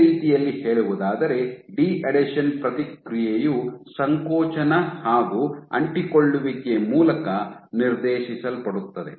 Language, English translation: Kannada, So, in other words the deadhesion response is not only dictated by contractility, but also dictated by adhesivity